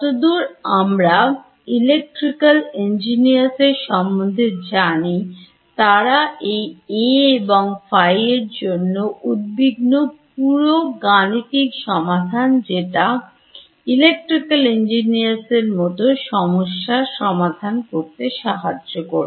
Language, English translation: Bengali, As far as electrical engineers are concerned this A and phi are purely mathematical constructs which are helping us to solve the problems that is how electrical engineers look at it